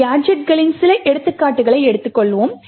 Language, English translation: Tamil, So, let us take a few examples of gadgets